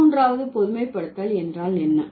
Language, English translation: Tamil, And what is the 13th generalization